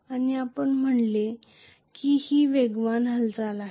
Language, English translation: Marathi, And we said this is fast movement